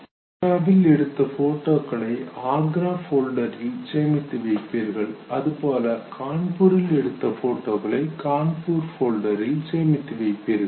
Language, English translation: Tamil, Photographs of Agra are stored in on the folder Agra; photographs of Kanpur are stored in the folder named Kanpur